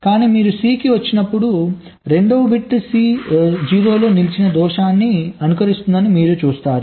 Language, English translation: Telugu, but when you come to c, you see that the second bit simulates the fault, c stuck at zero